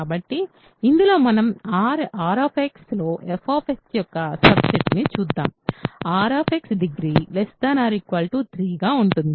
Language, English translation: Telugu, So, in this let us look at the subset of f of X in R X, degree of f of X is less than or equal to 3 ok